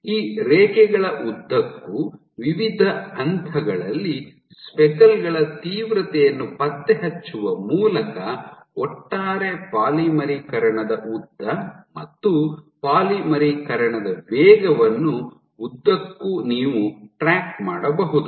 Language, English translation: Kannada, So, by tracking the intensity of speckles at various points along these lines you can track what is the overall polymerization length polymerization rate along that length